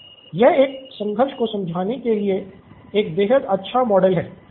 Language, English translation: Hindi, So, this is a great model to understand a conflict